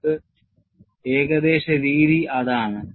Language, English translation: Malayalam, That is the way we have approximation